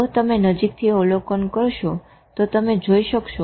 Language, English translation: Gujarati, If you observe it closely, you will always find it